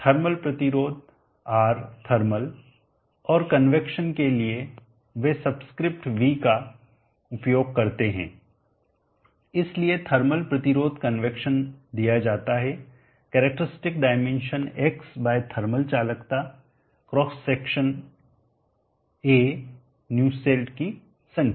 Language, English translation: Hindi, t / characteristic dimension x, the thermal resistance R thermal and convection they use the subscript v so thermal resistance convection is given by characteristic dimension x/ thermal conductivity A of cross section Nusselt number